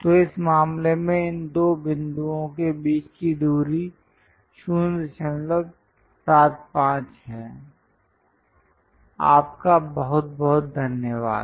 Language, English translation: Hindi, So, the distance between these two points is 0